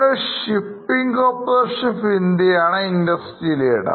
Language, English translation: Malayalam, You can see shipping corporation is a industry leader